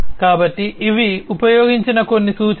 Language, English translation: Telugu, So, these are some of these references that are used